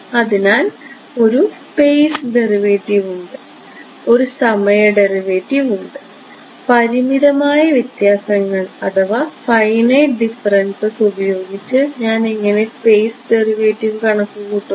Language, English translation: Malayalam, So, there is a space derivative and there is a time derivative, how will I calculate the space derivative by finite differences can I do it